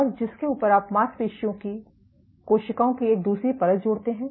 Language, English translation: Hindi, And on top of which you add a second layer of muscle cells